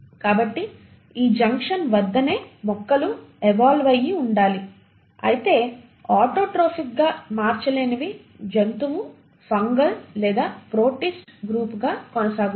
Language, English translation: Telugu, So it is at this junction the branching must have happened where the plants must have evolved while the ones which could not become autotrophic continued to become the animal, a fungal or the protist group